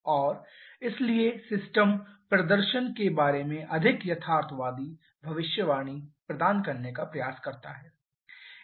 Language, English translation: Hindi, And therefore attempts to provide a more realistic prediction about the system performance